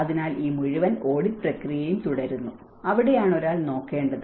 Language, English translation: Malayalam, So, this whole audit process goes on, and that is where one has to look at